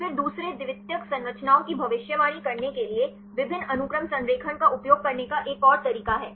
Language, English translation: Hindi, Then there is another way to use a multiple sequence alignment for predicting the second secondary structures